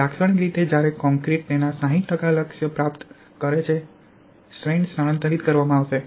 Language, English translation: Gujarati, Typically when the concrete attains its 60% of target strength, stress will be transferred